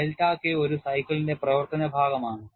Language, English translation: Malayalam, I have delta K as a function of a cycle also